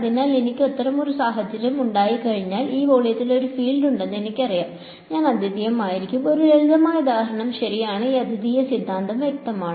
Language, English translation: Malayalam, So, once I have such a situation I know there is a fields in this volume we will be unique ok, as just a simple example alright; so is this uniqueness theorem clear